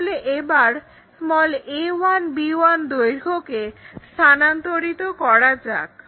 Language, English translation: Bengali, So, let us transfer that a 1, b 1 length